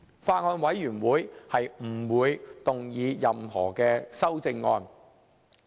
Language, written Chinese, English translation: Cantonese, 法案委員會不會動議任何修正案。, The Bills Committee would not move any CSAs in its name